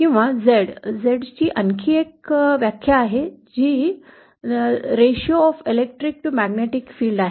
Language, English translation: Marathi, Or Z is also yet another definition of Z is ratio of electric to magnetic field